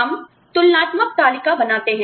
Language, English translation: Hindi, We draw comparative chart